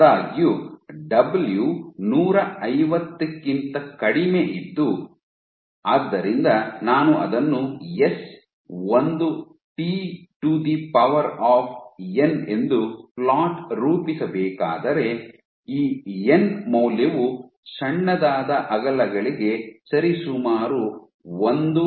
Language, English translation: Kannada, However, for w less than 150, so if I were to plot it as s is a t the power n, then this n value was approximately 1